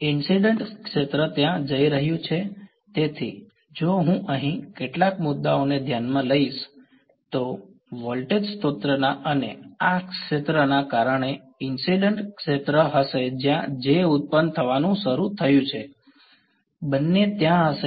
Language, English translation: Gujarati, The incident field is going to be there; so, if I consider some point over here there will be a the incident field due to the voltage source and due to the field like this J is beginning to produce; both are going to be there